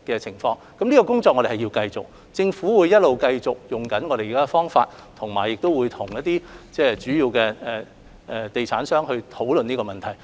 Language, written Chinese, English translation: Cantonese, 這方面的工作需要繼續進行，政府亦會繼續沿用現行方法處理，並跟主要地產商討論這問題。, There is a need to continue our work in this regard and the Government will maintain the existing approach in handling the issue while discussing the matter with major real estate developers